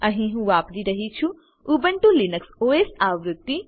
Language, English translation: Gujarati, Here I am using Ubuntu Linux OS version